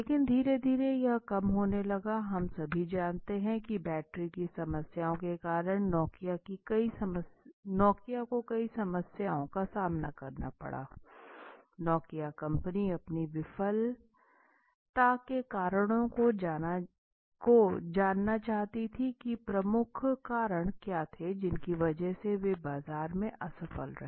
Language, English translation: Hindi, But gradually it started loosing we all know that because of the battery problems so many problems which happened with Nokia and with computer Samsung etc, Nokia Company wants to know the causes of its failure let us say, Nokia wants to know okay, what were the major reasons because of which they failed in the market